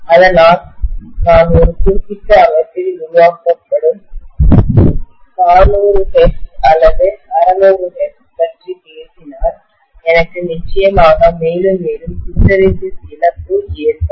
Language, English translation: Tamil, So if I am talking about 400 hertz or 600 hertz which is being generated in a particular system, I am definitely going to have more and more hysteresis loss